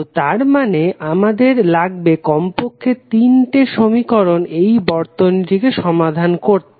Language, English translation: Bengali, So, that means that we need minimum three independent equations to solve the circuit